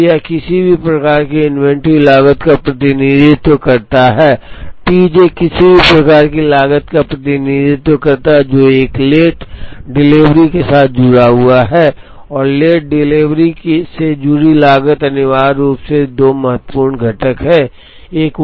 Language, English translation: Hindi, So, it represents some kind of an inventory cost, T j represents some kind of a cost associated with a late delivery and the cost associated with late delivery, essentially have 2 important components